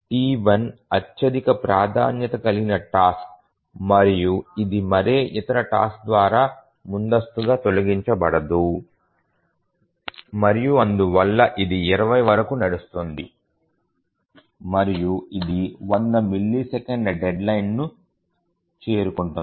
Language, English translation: Telugu, T1 is the highest priority task and it will not be preempted by any other task and therefore it will run for 20 and it will meet its deadline because the deadline is 100